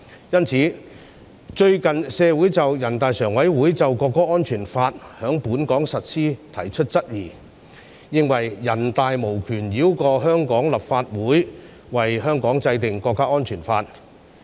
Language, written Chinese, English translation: Cantonese, 最近，對於人大常委會通過在本港實施的國家安全法，社會上有人提出質疑，認為人大常委會無權繞過香港立法會，為香港制定國家安全法。, Recently regarding NPCSCs passage of the national security law to be implemented in Hong Kong some people in society have raised queries considering that NPCSC does not have the power to enact a national security law for Hong Kong bypassing the Hong Kong Legislative Council